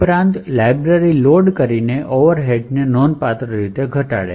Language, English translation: Gujarati, Thus, the overheads by loading the library is reduced considerably